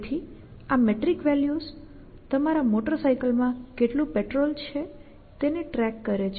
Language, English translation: Gujarati, So, this metric values would keep track of amount of the petrol that you have in a your motor cycle